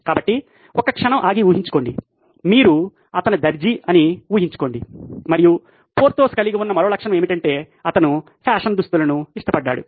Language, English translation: Telugu, So imagine, take a moment and imagine if you are his tailor and by the way another characteristic that Porthos had was that he loved fashionable clothes